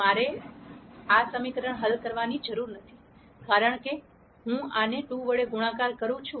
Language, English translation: Gujarati, I do not have to solve this equation, because I multiply this by 2 I get this equation